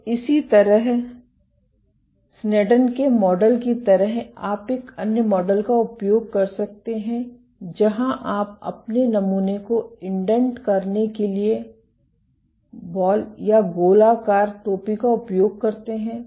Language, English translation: Hindi, So, similarly for like the Sneddon’s model you can use another model where if you use a ball or a spherical cap to use your to indent your sample